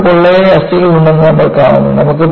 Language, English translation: Malayalam, You find birds have hollow bones